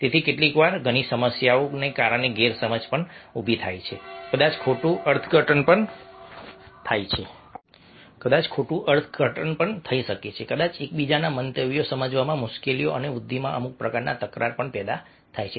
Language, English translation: Gujarati, so at times, because of several issues may be misunderstanding, maybe misinterpretation, maybe difficulties in understanding each others views or some sort of conflicts occur in growth